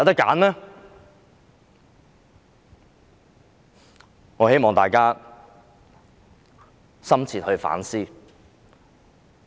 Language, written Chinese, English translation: Cantonese, 我希望大家深切反思。, I hope we will engage in a deep reflection